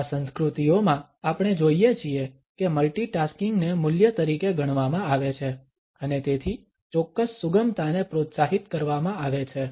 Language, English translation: Gujarati, In these cultures we find that multitasking is considered as a value and therefore, a certain flexibility is encouraged